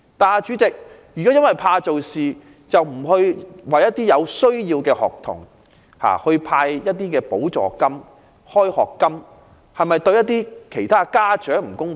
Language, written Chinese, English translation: Cantonese, 可是，如果因為怕做事而不向有需要的學童派發補助金或開學金，是否對某些家長不公平？, Yet if the Government refuses to provide students in need with a subsidy or a school term allowance simply to evade responsibilities will it be unfair to some parents?